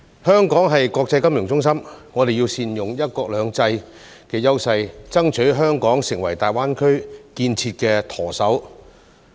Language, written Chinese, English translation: Cantonese, 香港是國際金融中心，我們要善用"一國兩制"的優勢，爭取香港成為大灣區建設的"舵手"。, Hong Kong is an international financial centre . We should make good use of the advantages of one country two systems and strive to make Hong Kong the helmsman of GBA